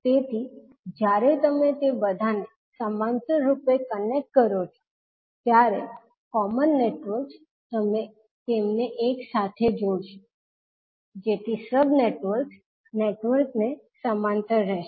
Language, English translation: Gujarati, So when you connect all of them in parallel so the common networks you will tie them together so that the networks the sub networks will be in parallel